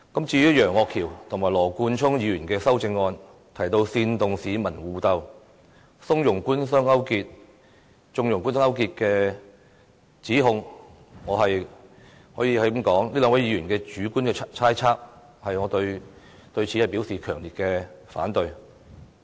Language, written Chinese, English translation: Cantonese, 至於楊岳橋議員及羅冠聰議員的修正案提到"煽動市民互鬥"、"縱容'官商鄉黑'勾結"的指控，我可以說，這只是兩位議員的主觀猜測，我對此表示強烈反對。, As for the words of incites members of the public to fight against each other and connives at government - business - rural - triad collusion in the amendments of Mr Alvin YEUNG and Mr Nathan LAW I can say that these are just their subjective speculations . I must express my strong objection here